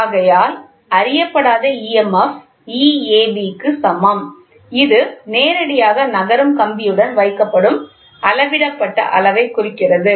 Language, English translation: Tamil, Therefore, the unknown emf is equal to E ab which is directly which is directly indicated by the measured scale placed along the sliding wire